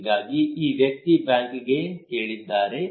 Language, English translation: Kannada, So this person asked the bank